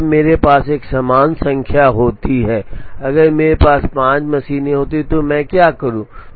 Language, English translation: Hindi, Now, what happens when I have an even number, if I have 4 machines what do I do